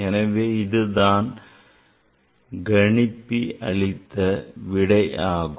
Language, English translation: Tamil, So, this is the result given by the calculator